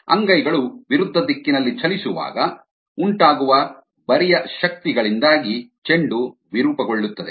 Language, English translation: Kannada, the ball distorts due to the shear forces exerted by the palms when they are moved in opposite direction